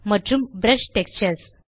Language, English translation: Tamil, And Brush Textures